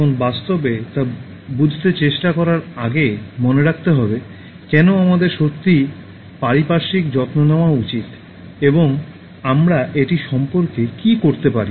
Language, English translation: Bengali, Now before we actually try to understand, why should we really care for the environment and what we can do about it